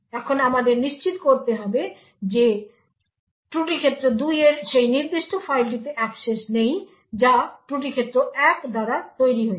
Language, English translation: Bengali, Now we need to ensure that fault domain 2 does not have access to that particular file which has been created by fault domain 1